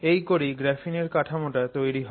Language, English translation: Bengali, This is how you build the graphene structure